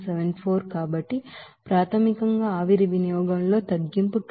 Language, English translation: Telugu, So basically the reduction in steam consumption will be is equal to 2